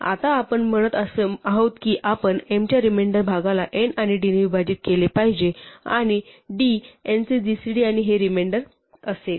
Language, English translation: Marathi, Now we are saying we look at the remainder of m divided by n and d must divide that and d will be in fact the gcd of n and this remainder